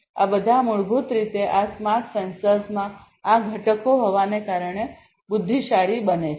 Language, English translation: Gujarati, All of these basically make these smart sensors intelligent, right, by virtue of having these components in them